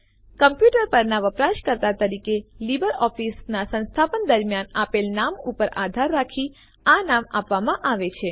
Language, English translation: Gujarati, The name is provided based on the name given during installation of LibreOffice as the user on the computer